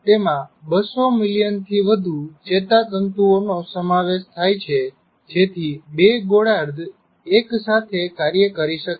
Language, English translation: Gujarati, It consists of more than 200 million nerve fibers so that the two hemispheres can act together